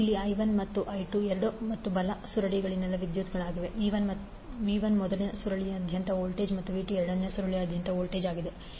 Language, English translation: Kannada, Here I 1 and I 2 are the currents on left and right coils, v 1 is the voltage across first coil and v 2 is voltage across second coil